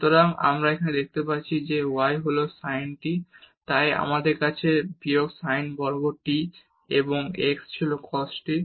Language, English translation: Bengali, So, we get here the y is sin t so, we have minus sin square t and x was cos t